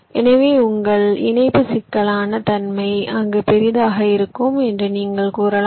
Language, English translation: Tamil, so you can say that your interconnection complexity will be larger there